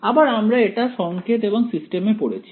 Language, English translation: Bengali, Again we study this in signals and systems